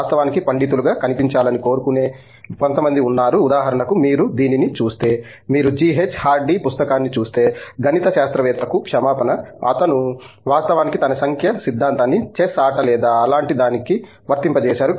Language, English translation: Telugu, There are some people who want actually look the most scholarly and like for example, if you look at what, if you look at G H Hardy's book, an apology of a mathematician, he actually loads his number theory being applied to let’s say chess games or something like that